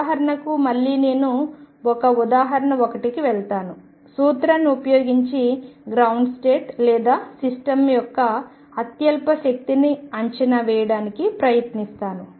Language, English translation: Telugu, For example again I will go to the example one, for using principle, for estimating ground state or lowest energy of a system